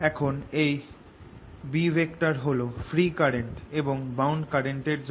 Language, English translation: Bengali, now, this b, due to both the free current as well as the bound currents